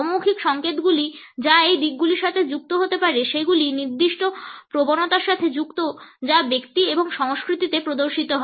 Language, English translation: Bengali, The non verbal clues which can be associated with this orientation are linked with certain tendencies which are exhibited in individual and it over cultures